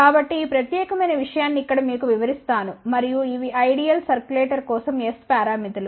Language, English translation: Telugu, So, let me just explain you this particular thing over here and these are the S parameters for ideal circulator